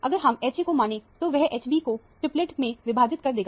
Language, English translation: Hindi, If we consider H a, that will split H b into a triplet